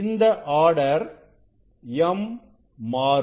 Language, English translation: Tamil, This order m will change